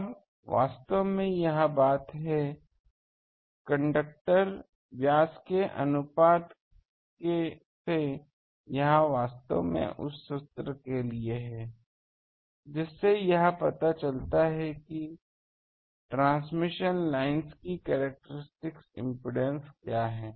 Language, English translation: Hindi, Now, actually this thing, actually this by having the ratio of this conductor diameters to actually that formula that this formula what is this characteristic impedance of the transmission lines